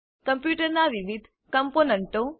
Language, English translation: Gujarati, Functions of a computer